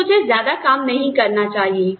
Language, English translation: Hindi, So, I should not work more